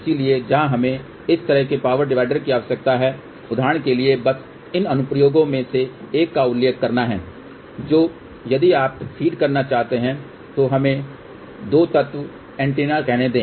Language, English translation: Hindi, So, where we need this kind of a power divider, for example just to mentionone of the applications that if you want to feed let us say 2 element antenna